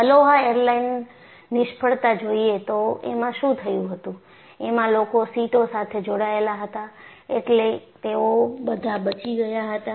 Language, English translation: Gujarati, In fact, the Aloha airline failure, if you really go back and look at what they had done, just because the people were tied to the seats, they were all saved